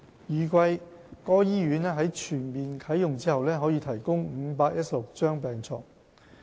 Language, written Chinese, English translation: Cantonese, 預計該醫院在全面啟用後可提供516張病床。, It is expected that the CUHKMC will provide 516 beds upon full commissioning